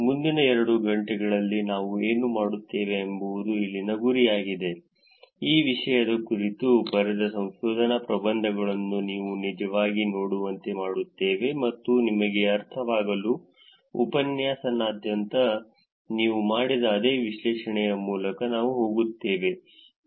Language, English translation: Kannada, The goal here is that next couple of hours, what we will do is we will get you to actually look at research papers written on the topic and we will go through the same analysis that you have done across the course for you to get a sense of how the analysis that you have done fit into actually making some interesting inferences